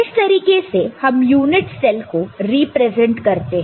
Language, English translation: Hindi, And this is the way we represent the unit cell right